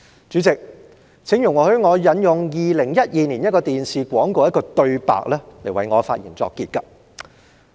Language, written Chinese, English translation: Cantonese, 主席，請容許我引用2012年一個電視廣告的一句對白為我的發言作結。, President please allow me to conclude my speech with the dialogue from a television commercial of 2012